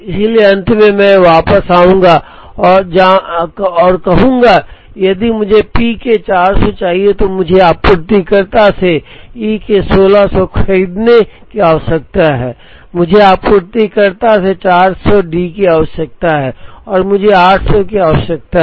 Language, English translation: Hindi, So, at the end, I would go back and say that, if I want 400 of P, I need to buy 1600 of E from the supplier, I need 400 of D from the supplier and I need 800 of E from the supplier